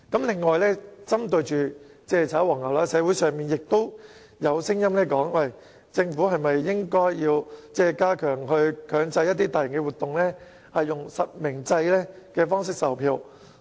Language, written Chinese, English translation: Cantonese, 此外，針對"炒黃牛"情況，社會上也有聲音提出，政府是否應該強制大型活動以實名制方式售票。, Besides in dealing with scalping activities there are also voices from the community asking the Government to require organizers of mega events to sell their tickets by way of real name registration